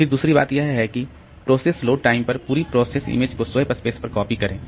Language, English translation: Hindi, Then the second thing is that copy entire process image to Swap Space at process load time